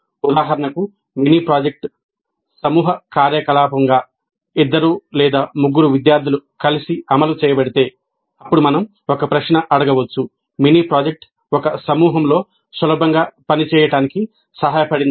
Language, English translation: Telugu, For example, if the mini project is implemented as a group activity, two or three students combining together to execute the mini project, then we can ask a question like the mini project helped in working easily in a group